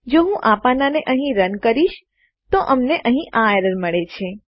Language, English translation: Gujarati, If I try to run this page here, we get this error here